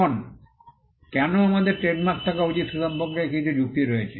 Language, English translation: Bengali, Now, there are some justifications as to why we should have trademarks